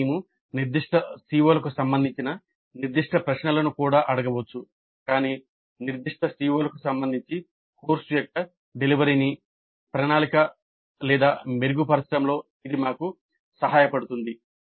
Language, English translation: Telugu, But we can also ask specific questions related to specific COs and that would help us in planning, improving the delivery of the course with respect to specific CEOs